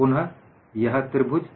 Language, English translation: Hindi, Again, this triangle